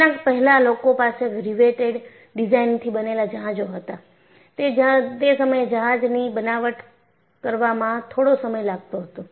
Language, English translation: Gujarati, Prior to that, people had ships made of riveted design and it takes quite a bit of time to fabricate a ship